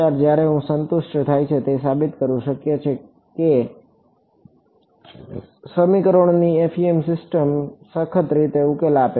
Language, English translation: Gujarati, When this is satisfied, it is possible to prove that the FEM system of equations rigorously gives the solution